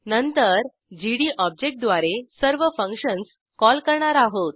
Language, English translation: Marathi, Then we call all the functions using the object gd